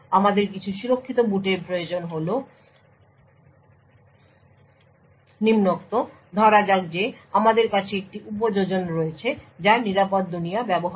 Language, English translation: Bengali, The reason why we require some secure boot is the following, so let us say that we are having an application that uses the secure world